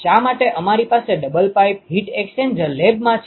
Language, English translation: Gujarati, Why do we have double pipe heat exchanger the lab